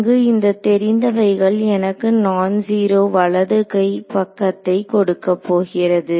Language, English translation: Tamil, So, these this known term over here this is what is going to give me a non zero right hand side